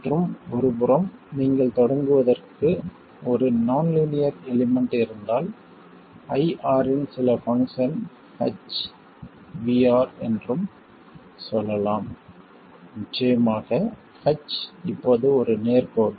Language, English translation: Tamil, And just as an aside, if you have a linear element to begin with, you can also say that IR is some function H of VR, of course, H itself is a straight line now